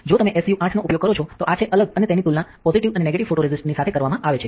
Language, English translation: Gujarati, If you use SU8 this is the different and compared to positive and negative photoresist